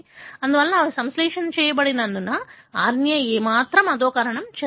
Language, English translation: Telugu, Therefore the RNA is not at all degraded as they are synthesized